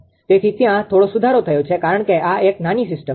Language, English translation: Gujarati, So, there is a slight improvement I mean because this is a small system